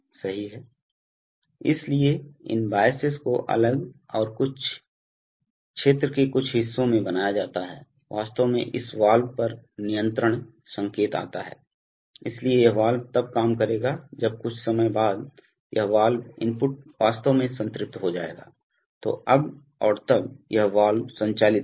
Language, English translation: Hindi, So, these biases are made different and in certain parts of the region the, actually the control signal comes to this valve, so this valve will operate then after some time when this valve input will actually saturate then this valve will operate no longer and then this valve will start operating